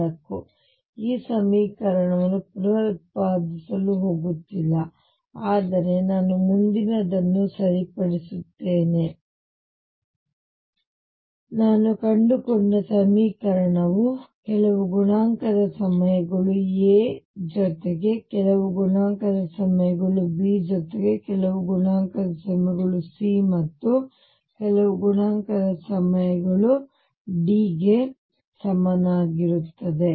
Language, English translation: Kannada, I am not going to reproduce this equation, but what I will right on the next page is that what I have the found the equation is some coefficient times A plus some coefficient times B plus some coefficient times C plus some coefficient times D equals 0